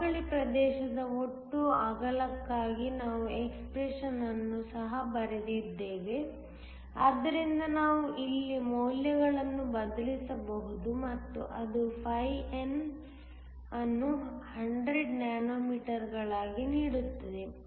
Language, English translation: Kannada, We also wrote down an expression for the total width of the depletion region, so we can substitute the values here and that gives φN to be 100 nanometers